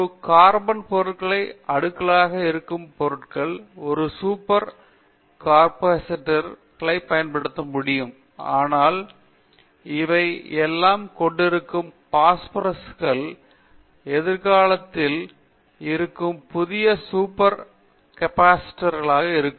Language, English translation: Tamil, A carbon materials are layered materials may be layered materials are possible to use a super capacitors, but chalcogenides, dichalcogenides sulphur containing or phosphorous containing all these things will be in the future will be new super capacitors like that we can go on taking about it in the materials in the catalysis or any field